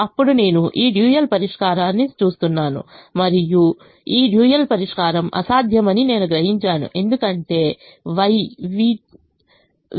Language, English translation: Telugu, now i look at this dual solution and i realize that this dual solution is infeasible because y v two is equal to minus five by three